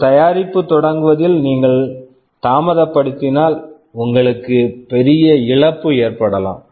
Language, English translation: Tamil, If you delay in the launch of a product, you may incur a big loss